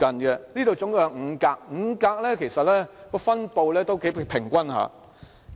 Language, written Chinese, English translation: Cantonese, 這裏一共有5格，其實5格的分布頗平均。, The chart is divided into five slices to illustrate numerical proportion and the distribution is quite even